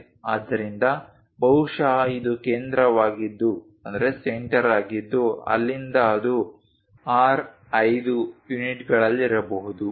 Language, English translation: Kannada, So, perhaps this is the center from there it might be at R5 units